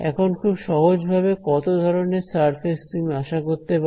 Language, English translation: Bengali, Now how many kinds of surfaces do you expect very simply